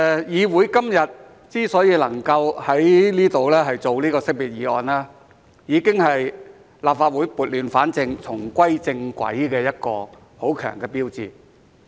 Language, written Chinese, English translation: Cantonese, 議會今天之所以能夠在這裏辯論告別議案，已經是立法會撥亂反正，重歸正軌的一個很強的標誌。, The fact that the Council is able to debate the valedictory motion here today is a very strong sign that the Legislative Council is putting things right and getting back on track